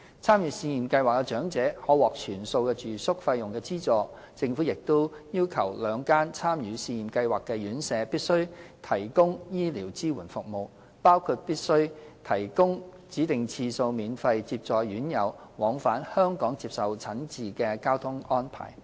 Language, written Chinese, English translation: Cantonese, 參與試驗計劃的長者可獲全數住宿費用資助，政府亦要求兩間參與試驗計劃的院舍必須提供醫療支援服務，包括必須提供指定次數免費接載院友往返香港接受診治的交通安排。, Elderly persons are offered full subsidy on the home accommodation fees . The Government also requires the two participating RCHEs to provide medical support services to elderly residents including a specific number of free transportation to and from Hong Kong for them to receive medical treatments in Hong Kong